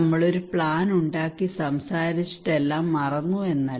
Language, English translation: Malayalam, It is not that we are making a plan we are talking and then we forgot about everything